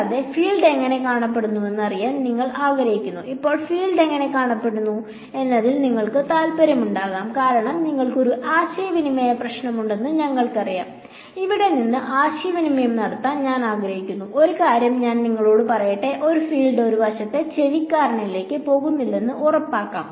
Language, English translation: Malayalam, And, you want to know how does the field look like now you will be interested in how the field looks like, because let us say you know you have a communication problem I want to communicate from here to let us say that point and I want to make sure that no field goes to some eavesdropper on one side